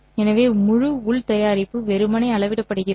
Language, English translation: Tamil, So the entire inner product is simply scaled up